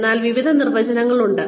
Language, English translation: Malayalam, So, various definitions